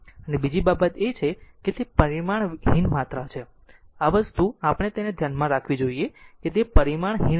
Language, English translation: Gujarati, And second thing is it is dimensionless quantity this thing we have to keep it in our mind it is dimensionless quantity